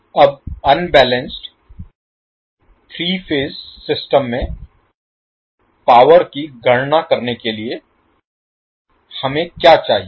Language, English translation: Hindi, Now to calculate the power in an unbalanced three phase system, what we require